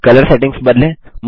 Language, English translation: Hindi, Let us now change the colour settings